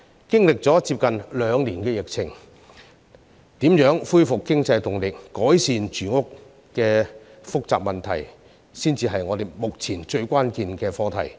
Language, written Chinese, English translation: Cantonese, 經歷了接近兩年的疫情，怎樣恢復經濟動力、改善住屋等複雜的民生問題，才是我們目前最關鍵的課題。, After almost two years of the pandemic how to restore the economic momentum and address the complicated livelihood issues like housing is the most crucial assignment for us now